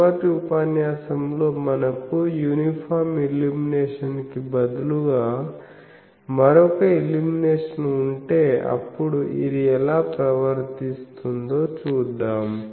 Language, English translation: Telugu, In the next, we will see that instead of uniform illumination if we have some other illumination, how this thing behaves